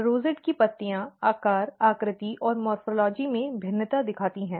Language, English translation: Hindi, Rosette leaves even you can see a variation in the shape size and morphology of the rosette leaf